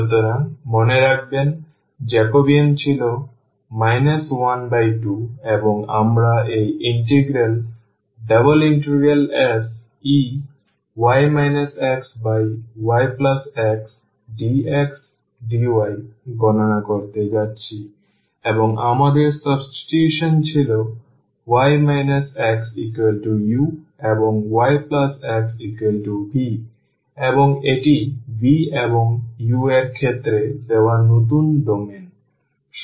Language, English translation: Bengali, So, remember the Jacobean was minus half and we are going to compute this integral e power minus y minus x over y plus x dx dy, and our substitution was y minus x was u and y plus x was v and this is the new domain given in terms of v and u